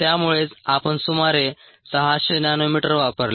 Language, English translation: Marathi, that's a reason why we used about six hundred nanometres